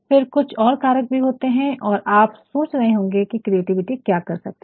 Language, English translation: Hindi, Now, there are some other factors also and you might be thinking what can creativity do